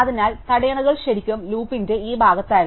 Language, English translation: Malayalam, So, the bottlenecks were really at this part of the loop